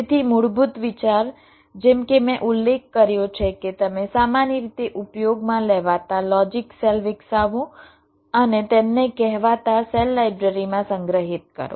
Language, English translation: Gujarati, so, basic idea: as i have mentioned, you develop the commonly used logic cells and stored them in a so called cell library